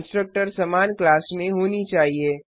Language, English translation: Hindi, The constructors must be in the same class